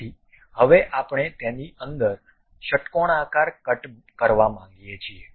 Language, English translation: Gujarati, So, now we would like to have a hexagonal cut inside of that